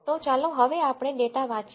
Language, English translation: Gujarati, So, now let us read the data